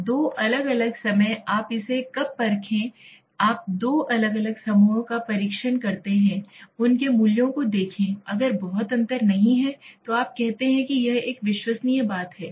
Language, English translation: Hindi, So 2 different times you test it when you test two different times look at their values, if there is not much difference then you say it is reliable thing